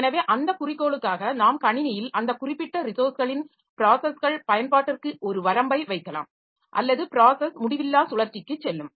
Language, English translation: Tamil, So, for that purpose we can put a limit on the system on the processes usage of that particular resource or a process going on to infinite loop